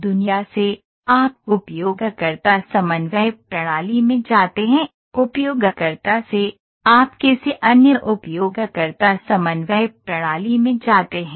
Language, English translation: Hindi, From the world, you go to user coordinate system, from user you go to another user coordinate system